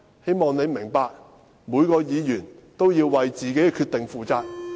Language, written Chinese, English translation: Cantonese, 希望你明白，每位議員也要為自己的決定負責。, I hope you can understand that every Member must be responsible for his or her own decision